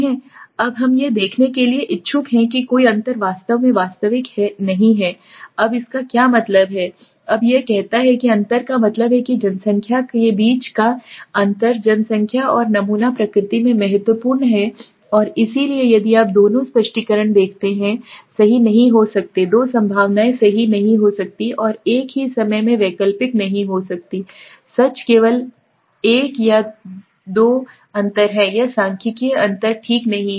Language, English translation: Hindi, Now we are interested to find to see that no the difference is actually real now what is it mean now it says that there is difference that means the population mean the difference between the population and the sample is significant in nature right So and if you see both the explanation cannot be true the two possibilities cannot be true null and alternative at the same time cannot be true only one either it is a difference or there is not statistical difference okay